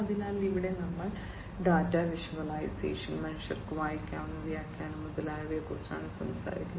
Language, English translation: Malayalam, So, here we are talking about data visualization, human readable interpretation, and so on